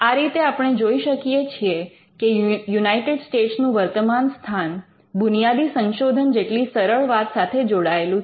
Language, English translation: Gujarati, So, you will see that this was how the current position of the United States was linked to something as simple as basic research